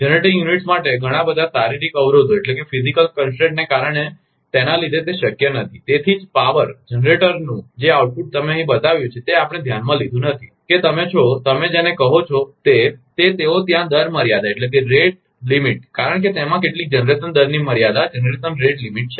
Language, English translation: Gujarati, It is not possible for the generating units due to due to due to its many physical constants are there, that is why that power, that output of the generator whatever you have shown here, that we have not considered that you are, what you call that that, those those rate limit because it has some generation rate limit